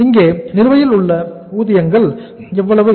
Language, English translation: Tamil, What is the total amount of wages paid